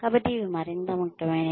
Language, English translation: Telugu, So, these become more important